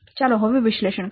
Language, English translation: Gujarati, Now let's analyze